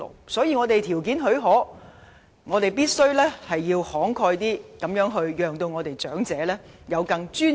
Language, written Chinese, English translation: Cantonese, 所以，既然我們的條件許可，便必須慷慨一點，讓長者活得更有尊嚴。, So as we have the means today we must be generous to elderly people so that they can lead a life of dignity